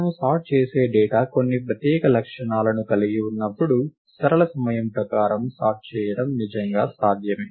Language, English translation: Telugu, It is indeed possible to sort linear time when the data that we are sorting has some very special properties